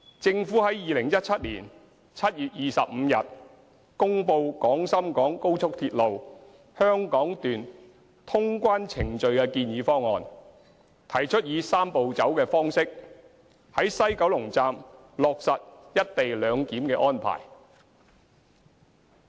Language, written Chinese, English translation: Cantonese, 政府在2017年7月25日公布廣深港高速鐵路香港段通關程序的建議方案，提出以"三步走"的方式，於西九龍站落實"一地兩檢"的安排。, On 25 July 2017 the Government announced the proposal for the clearance procedures for the Hong Kong Section of the Guangzhou - Shenzhen - Hong Kong Express Rail Link XRL proposing a Three - step Process in implementing the co - location arrangement at the West Kowloon Station